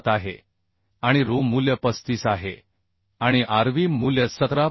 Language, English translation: Marathi, 7 and ru value is 35 and rv value is 17